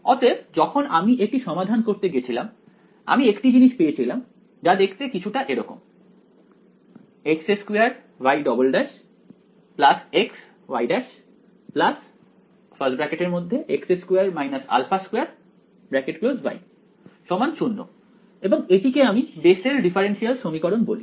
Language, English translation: Bengali, So, when I went to solve this I got something that looked like x squared y double prime plus x y prime plus x square minus alpha squared y is equal to 0 right that was what I called Bessel’s differential equation right